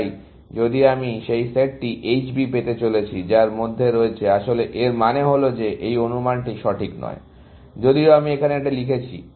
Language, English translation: Bengali, So, if I am going to have that set H B, which includes, actually, it means that this estimate is not correct, even though, I wrote it there